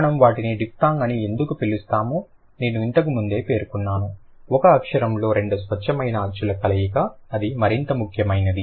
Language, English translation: Telugu, Why we call them diphthung I have already mentioned, combination of two pure vowels in one syllable, that is more important